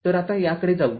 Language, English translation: Marathi, So, let us move to this now